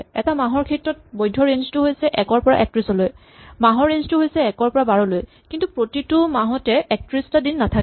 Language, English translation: Assamese, And these have their own ranges: the valid days for a month range from 1 to 31 and the months range from 1 to 12, but not every month has 31 days